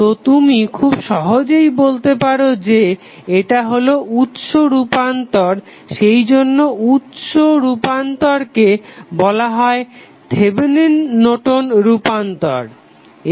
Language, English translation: Bengali, So, you can simply say this is nothing but a source transformation that is why the source transformation is also called as Thevenin Norton's transformation